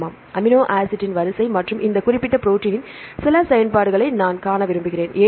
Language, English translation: Tamil, Yeah, I want to see amino acid sequence as well as some of the functions of this specific protein, because this protein is a recently published one